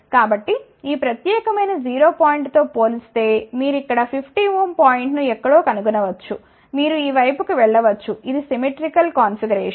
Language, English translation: Telugu, So, compare to this particular 0 point here you can find the 50 ohm point somewhere here, you can go to this side it is a symmetrical configuration